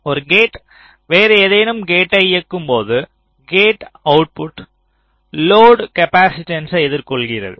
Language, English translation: Tamil, so when a gate is driving some other gate, the gate output actually faces load capacitances